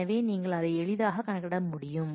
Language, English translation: Tamil, So, you can easily do the computation on that